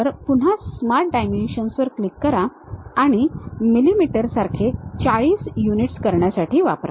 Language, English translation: Marathi, So, again click the Smart Dimensions and use it to be 40 units like millimeters ok